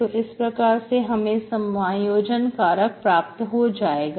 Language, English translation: Hindi, So this way you can get integrating factor